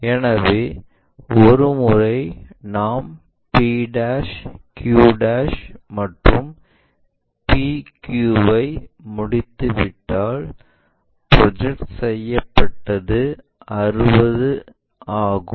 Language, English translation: Tamil, So, once we are done with p' q' and p q which is also 60, the projected ones